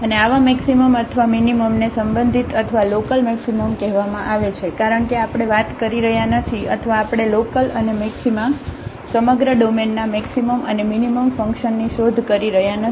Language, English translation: Gujarati, And such maximum or minimum is called relative or local maximum because we are not talking about or we are not searching the local and maxima, the maximum and the minimum of the function in the entire domain